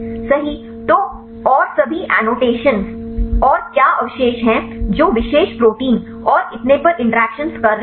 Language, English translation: Hindi, So, and have the all the annotations and what the residues which are interacting with the particular proteins and so on